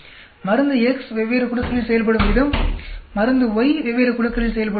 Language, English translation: Tamil, The way drug X acts on different groups, the way drug Y acts on different groups